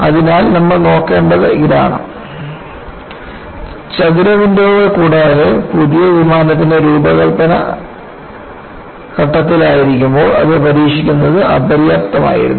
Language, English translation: Malayalam, So, what you will have to look at is apart from the square windows, the testing of the new plane while still in it is design phase was inadequate